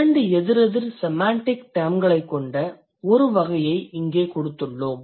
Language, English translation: Tamil, It says, given a category with two opposite semantic terms